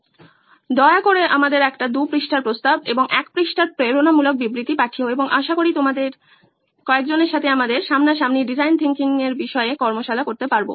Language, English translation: Bengali, Please send us a two page proposal and a one page motivational statement and we hope to see some of you with us so we can do a face to face workshop on design thinking